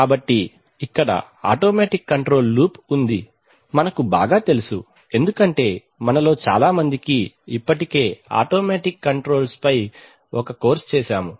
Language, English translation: Telugu, So here is an automatic control loop, well known to us because we have most of us have already had a course on automatic controls